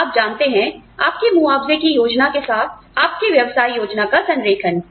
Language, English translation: Hindi, You know, alignment of your business plan, with your compensation plan